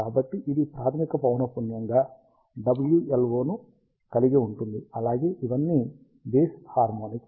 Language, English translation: Telugu, So, it will contain the fundamental frequency omega LO, as well as all of its odd harmonics